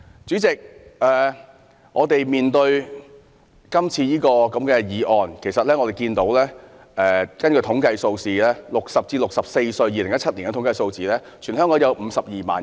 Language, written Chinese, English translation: Cantonese, 主席，就今次的議案而言，我們看到2017年的統計數字顯示 ，60 至64歲的人士在全港有52萬人。, President in respect of the present motion we notice from the statistics of 2017 that there are 520 000 people aged between 60 and 64 in the territory